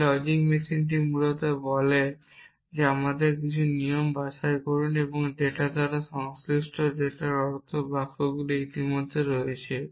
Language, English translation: Bengali, This logic machine essentially says pick our rule and corresponding data by data had be mean the sentences which are already there